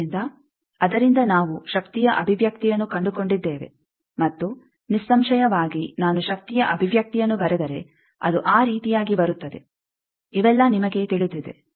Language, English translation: Kannada, So, from that we have found the power expression and; obviously, if I write the power expression, it comes like that all of these you know